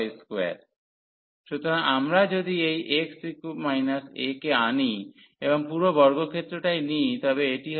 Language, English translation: Bengali, So, if we bring this x minus a and take whole square, then this will be a square minus y square